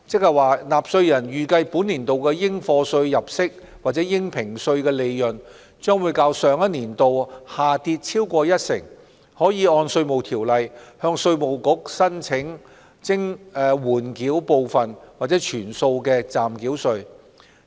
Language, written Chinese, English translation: Cantonese, 若納稅人預計本年度的應課稅入息或應評稅利潤將較上年度下跌超過一成，可按《稅務條例》向稅務局申請緩繳部分或全數的暫繳稅。, Taxpayers anticipating a decrease of more than 10 % in their chargeable income or assessable profits for the current year as compared to the preceding year may apply to the Inland Revenue Department IRD for a holdover of the whole or part of the provisional tax under the Inland Revenue Ordinance